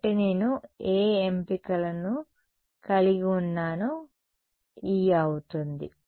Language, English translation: Telugu, So, E is going to be what choices do I have